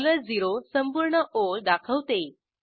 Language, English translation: Marathi, $0 represents the entire line